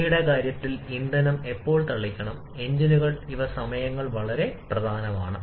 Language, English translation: Malayalam, When to spray the fuel in case of CI engines these are timings are very important